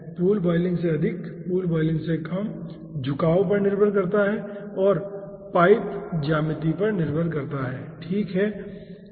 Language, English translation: Hindi, lower than pool boiling depends on inclination and depends on pipe geometry